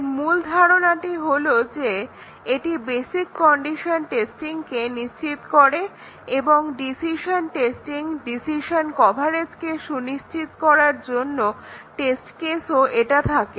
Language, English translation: Bengali, So, the main idea with basic condition with decision coverage testing is that it ensures basic condition testing and also has test cases to ensure decision testing, decision coverage